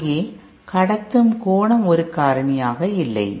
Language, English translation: Tamil, The conduction angle is not a factor over there